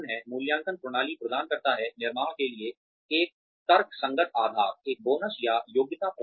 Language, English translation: Hindi, The appraisal system provides, a rational basis for constructing, a bonus or merit system